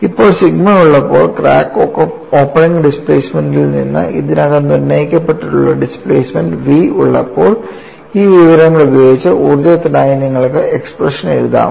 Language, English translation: Malayalam, Now, with this information when I have sigma, when I have the displacement v, which is already determine from crack opening displacement, can you write the expression for energy